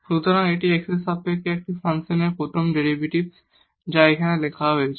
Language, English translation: Bengali, So, that is the first derivative of this function with respect to x which is written here